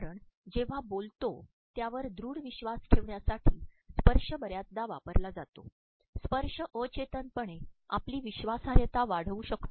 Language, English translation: Marathi, Because touch is used most often when we believe strongly in what we are saying touching can subconsciously enhance your credibility